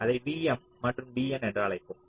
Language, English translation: Tamil, also, lets call it v m and v n